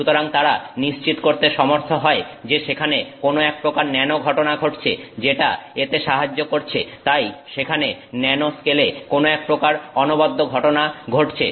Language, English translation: Bengali, So, they were able to confirm that there is some kind of a nano phenomenon that is happening which is what is enabling, so there is something unique to the nanoscale